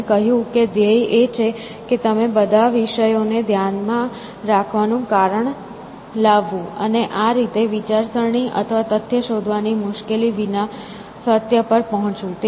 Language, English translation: Gujarati, And, he said the goal is to bring reason to bear on all subjects, and in this way, arrive at the truth without the trouble of thinking or fact finding